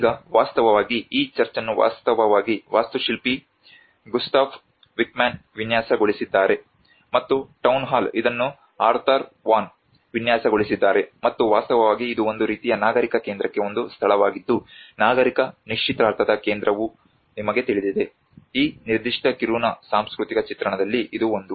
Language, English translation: Kannada, So now, in fact, this church was actually designed by architect Gustaf Wickman, and also the Town Hall where Arthur Von have designed this, and in fact this is a place for a kind of civic centre you know the civic engagement centre is all, this is one of the image the cultural image of this particular Kiruna